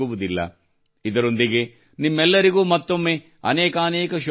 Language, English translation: Kannada, With this, once again many best wishes to all of you